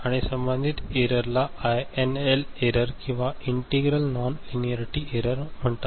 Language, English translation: Marathi, And corresponding error is called INL error integral non linearity error ok